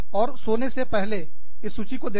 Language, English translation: Hindi, And, before you go to sleep, just look at this list